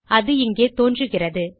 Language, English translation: Tamil, It is found here and...